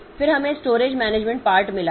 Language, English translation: Hindi, Then we have got the storage management part